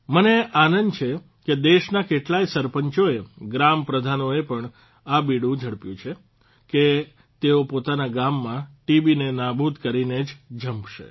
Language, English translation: Gujarati, I am happy that many sarpanchs of the country, even the village heads, have taken this initiative that they will spare no effort to uproot TB from their villages